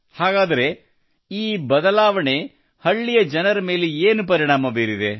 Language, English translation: Kannada, So what is the effect of this change on the people of the village